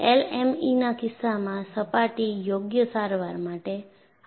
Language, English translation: Gujarati, In the case of LME, go for a suitable surface treatment